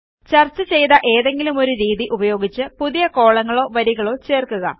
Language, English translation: Malayalam, Follow one of the methods discussed, to add new rows or columns